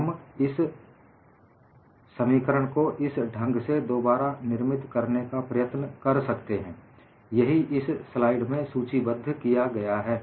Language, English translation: Hindi, We would try to recast this expression in such a fashion, and that is what is listed in this slide